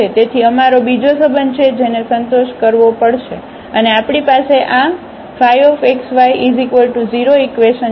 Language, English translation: Gujarati, So, we have another relation which has to be satisfied, and we have this equation phi x y is equal to 0